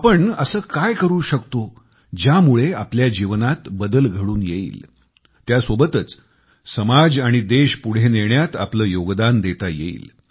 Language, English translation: Marathi, What exactly should we do in order to ensure a change in our lives, simultaneously contributing our bit in taking our country & society forward